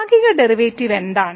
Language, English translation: Malayalam, So, what is Partial Derivative